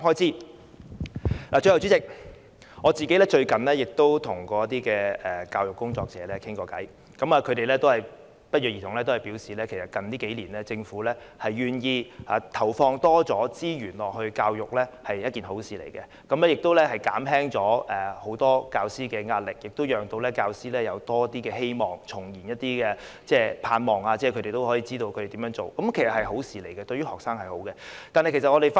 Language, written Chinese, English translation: Cantonese, 最後，代理主席，我最近曾與一些教育工作者交談，他們不約而同地表示，近數年政府願意投放更多資源在教育方面是好事，可以減輕很多教師的壓力，也讓教師看到多一些希望，重燃他們的盼望，讓他們知道怎樣做下去，這是一件好事，而對於學生也是好事。, Lastly Deputy President I have recently talked with some educators . They said in unison that the Government was willing to put more resources into education in the past few years which was a good thing because it could alleviate the pressure on many teachers give them some hopes rekindle their aspirations and enable them to plan the next step . It was also a good thing for students